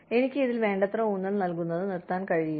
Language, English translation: Malayalam, I cannot stress on this enough